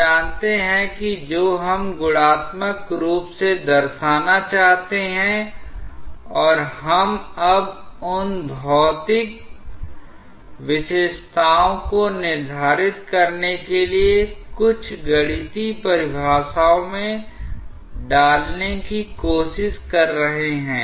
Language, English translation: Hindi, We know that what we want to qualitatively represent and we are now trying to put into some mathematical definitions to quantify those physical features